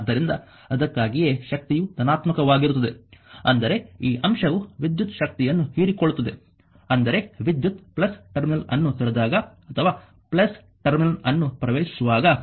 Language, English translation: Kannada, So, that is why the power is positive; that means, this element actually is absorbing the electrical power so; that means, when i is leaving the plus terminal or entering into the plus terminal right